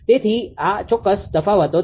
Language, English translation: Gujarati, So, these are certain differences